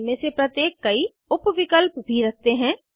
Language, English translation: Hindi, Each of these have various sub options as well